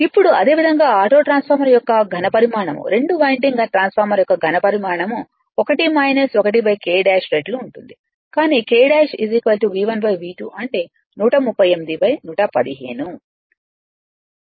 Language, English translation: Telugu, Now, similarly the volume of auto transformer you know 1 minus 1 upon K dash volume of 2 winding transformer, but K dash is equal to V 1 upon V 2 right, that is 138 by 115